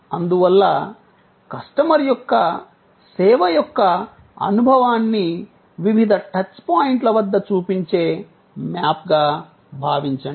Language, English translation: Telugu, And so, it think of it as a map showing the customer's experience of the service at various touch points